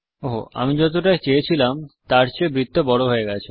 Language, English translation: Bengali, Oops, the circle is larger than what I wanted